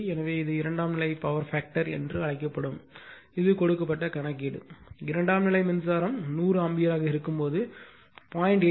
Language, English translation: Tamil, So, this is your what you call that secondary side power factor that given, right it is the problem it is given that you are your when the secondary current is hundred ampere at a power factor of 0